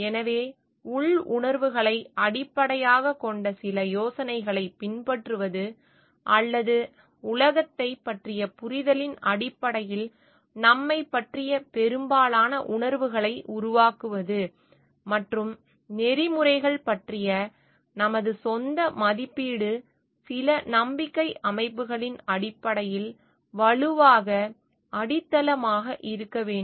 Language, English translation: Tamil, So, this part like adopt some ideas which are based on inner feelings or are make most of the sense of us based on the understanding of the world and our own evaluation of ethics needs to be strongly grounded on some believe system, strongly grounded on some basic principles which guides which are guiding philosophy of our life